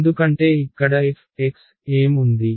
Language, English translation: Telugu, Because what is f x over here